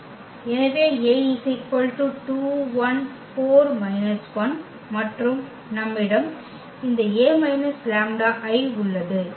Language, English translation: Tamil, So, we have this A minus lambda I